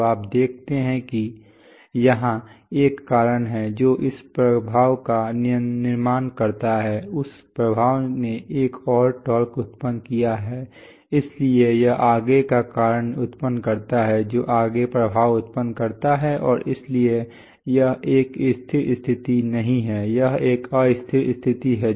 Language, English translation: Hindi, So you see that here is a cause which build that effect, that effect generated a further torque so it is generated further cause, which generated further effect and therefore, this is not a stable position, this is an unstable position right